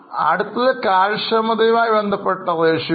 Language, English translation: Malayalam, The next one are the efficiency related ratios